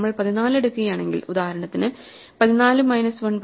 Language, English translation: Malayalam, If we take 14, for example, 14 minus 1 is 13, 13 by 2 is 6